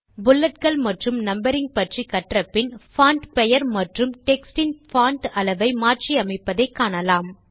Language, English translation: Tamil, After learning about Bullets and Numbering in Writer, we will now learn how the Font name and the Font size of any text can be changed or applied